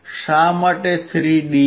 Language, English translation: Gujarati, Why 3 dB